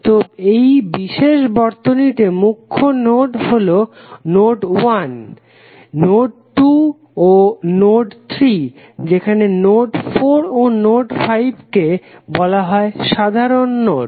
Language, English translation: Bengali, So, in this particular circuit principal node would be node 1, node 2 and node 3 while node 4 and node 5 are the simple nodes